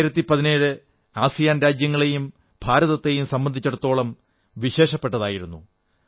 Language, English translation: Malayalam, The year 2017 has been special for both ASEAN and India